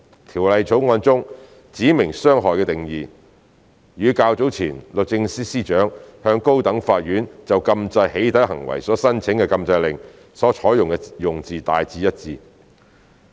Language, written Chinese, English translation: Cantonese, 《條例草案》中"指明傷害"的定義，與較早前律政司司長向高等法院就禁制"起底"行為所申請的禁制令所採用的用字大致一致。, The definition of specified harm in the Bill is broadly consistent with the wording used in an earlier injunction order filed by the Secretary for Justice in the High Court to curb doxxing